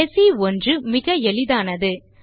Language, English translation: Tamil, Now, the last one is extremely simple